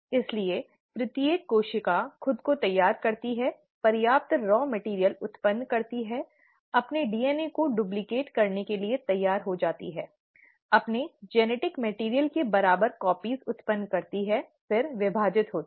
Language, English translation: Hindi, So every cell prepares itself, generates enough raw material, gets ready to duplicate its DNA, having generated equal copies of its genetic material it then divides